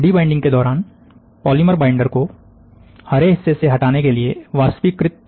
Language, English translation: Hindi, During debinding, the polymer binder is vaporized to remove it from the green part